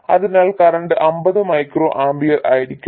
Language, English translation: Malayalam, The current will be 50 microamper